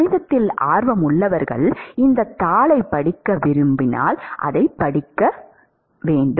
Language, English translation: Tamil, Those who are interested in the math, you should actually read this paper